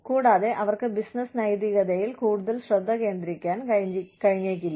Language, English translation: Malayalam, And, they may not be able to focus, so much attention on business ethics